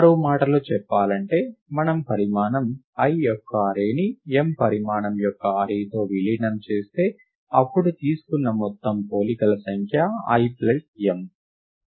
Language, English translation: Telugu, In other words, if we merge an array of size l with an array of size m, then the total number of comparisons taken is l plus m